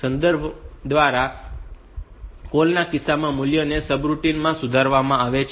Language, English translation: Gujarati, So, in case of call by reference, the values are values are modified in the subroutine